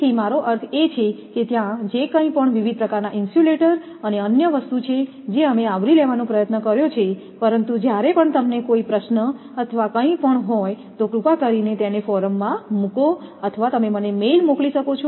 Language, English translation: Gujarati, So, there are I mean whatever was there varieties of insulators and other thing we have tried to cover, but whenever you have any questions or anything you please put it into the forum or you can send mail to me